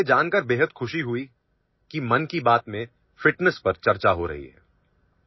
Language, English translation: Urdu, I am very happy to know that fitness is being discussed in 'Mann Ki Baat'